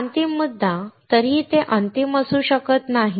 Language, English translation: Marathi, Now final point; it may not be final though